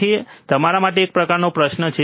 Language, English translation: Gujarati, So, that is the kind of question for you